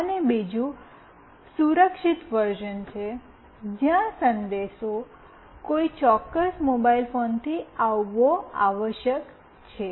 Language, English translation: Gujarati, And a secured version of course, where the message must come from a particular mobile phone